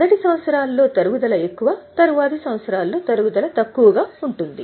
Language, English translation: Telugu, In the earlier year the depreciation is higher, in the latter year the depreciation is lesser